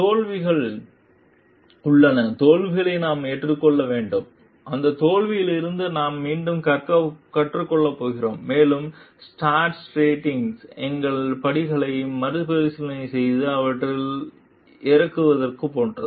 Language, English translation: Tamil, There are failures and we have to accept the failures; and from that failure we are going to learn again and like start redoing revisiting our steps and relooking into it